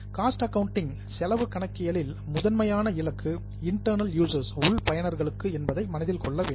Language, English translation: Tamil, Keep in mind that cost accounting is primarily targeted to internal users